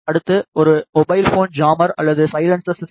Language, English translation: Tamil, Next is a mobile phone jammer or silencer system